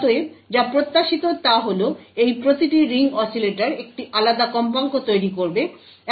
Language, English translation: Bengali, Therefore what is expected is that each of these N ring oscillators would produce a frequency that is different